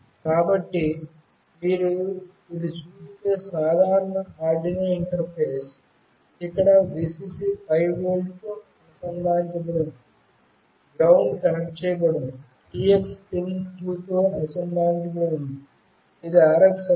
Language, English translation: Telugu, So, this is the typical Arduino interface if you see, where Vcc is connected to 5 volt, ground is connected, TX is connected with pin 2, which will be the RX